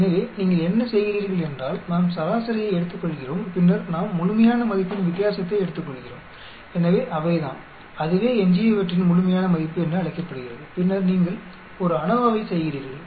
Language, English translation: Tamil, So, what you do is, we take the mean and then we take the difference absolute value so those are the, that is called the Residuals absolute value and then you perform an ANOVA